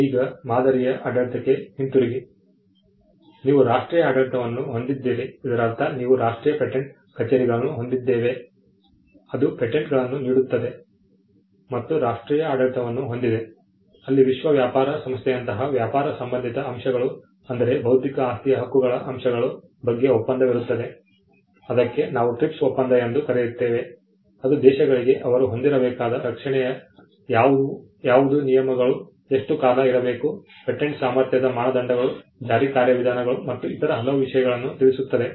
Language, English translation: Kannada, Now, coming back to the pattern regime so, you have the national regime by which we mean the National Patent Offices, which grants the patents and an international regime where in you have treaties which like the World Trade Organization has a agreement on trade related aspects of intellectual property rights, what we call the TRIPS agreement which gives which tells the countries what should be the standard of protection they should have, how long the terms should be, what are the criteria for patentability, enforcement mechanisms and many other things